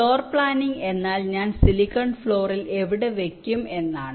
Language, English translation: Malayalam, floor planning means approximately where i will place it on the silicon floor